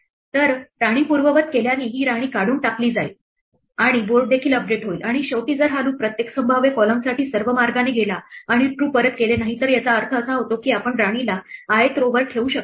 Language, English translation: Marathi, So, undoing the queen will remove this queen and also update the board and finally, if this loop goes all the way through for every possible column and does not return true then we means it means we cannot place the queen on the ith row